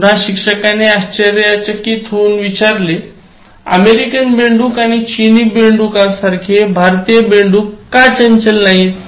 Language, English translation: Marathi, Again, the teacher surprised, he asked, what about the Indian frogs aren’t they active, like the American frogs and Chinese frogs